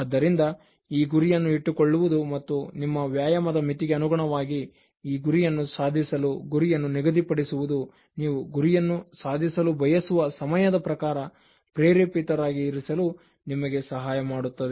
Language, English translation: Kannada, So, keeping this goal and setting a target for achieving this goal in terms of the limit of your exercise in terms of the time in which you want to achieve the target that will help you remain motivated